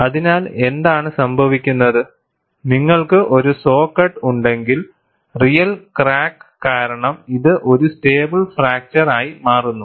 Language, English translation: Malayalam, So, what happens is, if you have a saw cut, this changes into a real crack due to stable fracture